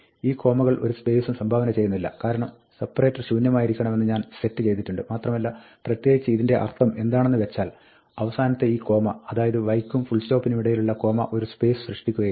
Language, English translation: Malayalam, These commas do not contribute any space, because I have set separator should be empty and in particular, what this means is that, this last comma, the comma between the y and the full stop, will not generate a space